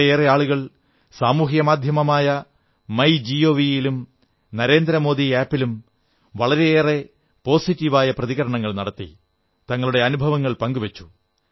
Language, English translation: Malayalam, I am very glad that a large number of people gave positive responses on social media platform, MyGov and the Narendra Modi App and shared their experiences